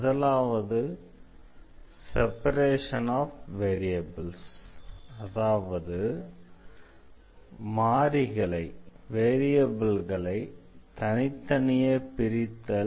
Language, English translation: Tamil, The first one is the separation of variables